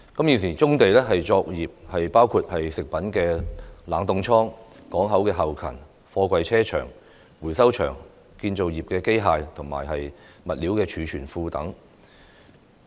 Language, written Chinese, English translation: Cantonese, 現時棕地作業包括食品冷凍倉、港口後勤、貨櫃車場、回收場、建造業機械及物料儲存庫等。, Currently brownfield operations include refrigerated warehouse for food port back - up container depots recycling yards and storage of construction machinery and materials